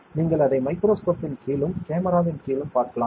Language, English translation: Tamil, So, you can see it under microscope so under the camera